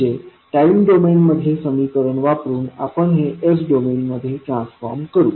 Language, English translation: Marathi, So, using the equation in time domain we will transform this into s domain